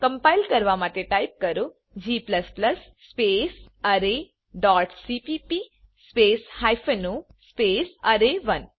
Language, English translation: Gujarati, To compile type, g++ space array dot cpp space hypen o space array1